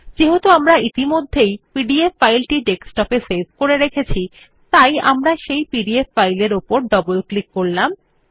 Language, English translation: Bengali, Since we have already saved the pdf file on the desktop, we will double click on the pdf file